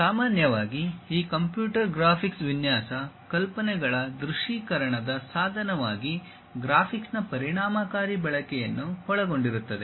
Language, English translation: Kannada, Usually this computer computer graphics involves effective use of graphics as a tool for visualization of design ideas